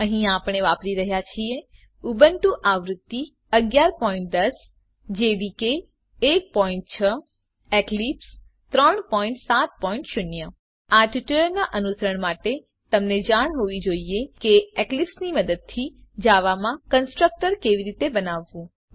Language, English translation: Gujarati, Here we are using Ubuntu version 11.10 jdk 1.6 Eclipse 3.7.0 To follow this tutorial you must know how to create a constructor in java using eclipse